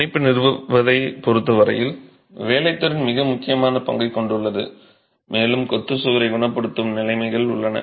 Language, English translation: Tamil, Workmanship has a very important role as far as the establishment of bond is concerned and conditions under which curing is happening for the masonry wall